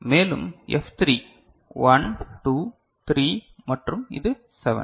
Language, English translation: Tamil, And, F3 1, 2, 3 and this is the 7